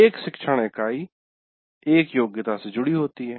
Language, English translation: Hindi, And one instructional unit is associated with one competency